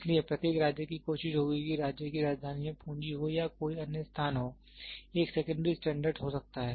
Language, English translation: Hindi, So, then each state will try to have state capital might have capital or any other place, might have a secondary standard